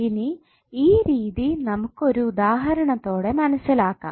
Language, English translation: Malayalam, Now let us understand this particular aspect with the help of one example